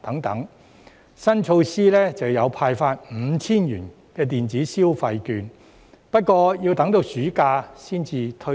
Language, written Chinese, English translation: Cantonese, 預算案的新措施是派發 5,000 元電子消費券，但要等到暑假才推出。, A new measure in the Budget is the issuance of electronic consumption vouchers with a total value of 5,000 but the scheme will only be rolled out in this summer vacation